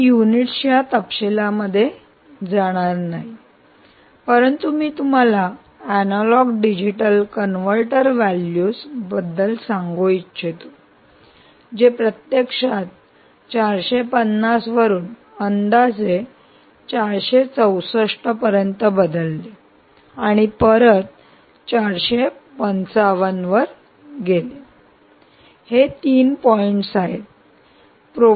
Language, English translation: Marathi, i will not even get into the detail of the units, but i will just tell you about the analogue to digital converter values, which actually changed from four hundred and fifty to roughly ah four hundred and sixty four and went back to four hundred and fifty five